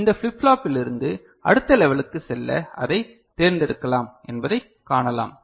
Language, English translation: Tamil, So, from this flip flop ok, so this flip flop we can see that we can select it to go to the next level ok